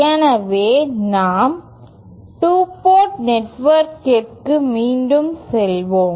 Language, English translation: Tamil, So, let us go back to our 2 port network